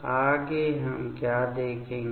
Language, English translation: Hindi, Next what we will see